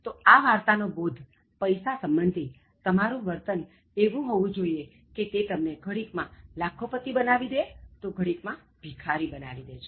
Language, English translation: Gujarati, So, the moral of the story with regard to the attitude you should have in terms of money is that, it can be a millionaire or a beggar in an instant